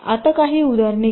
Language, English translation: Marathi, now lets takes some examples